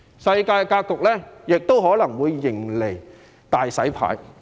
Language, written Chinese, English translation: Cantonese, 世界格局亦可能會迎來"大洗牌"。, The global setup will see a grand reshuffle